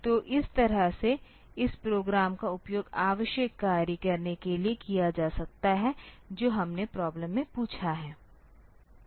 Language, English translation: Hindi, So, this way this program can be used for doing the necessary job whatever we have asked for in the problem